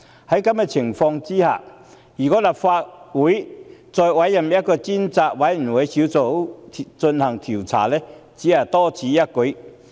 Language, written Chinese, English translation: Cantonese, 在此情況下，我認為如果立法會再委任專責委員會進行調查，只是多此一舉。, Under these circumstances I find a separate inquiry by a select committee of the Legislative Council nothing but redundant